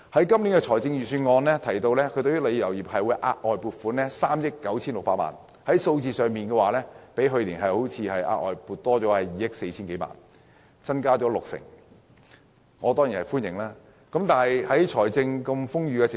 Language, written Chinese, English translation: Cantonese, 今年的財政預算案建議為旅遊業額外撥款3億 9,600 萬元，比去年的額外撥款增加2億 4,000 多萬元，即六成左右，我當然表示歡迎。, This years Budget proposes an additional provision of 396 million to the tourism industry representing an increase of over 240 million or over 60 % from the additional provision of last year